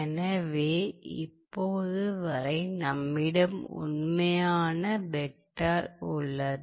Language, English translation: Tamil, So, this is basically a vector